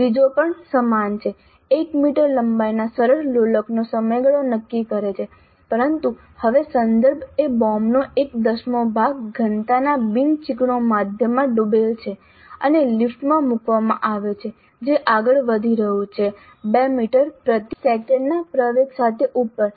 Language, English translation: Gujarati, The third one is also same determine the time period of a simple pendulum of length 1 meter, but now the context is the bob dipped in a non viscous medium of density one tenth of the bob and is placed in lift which is moving upwards with an acceleration of 2 meters per second square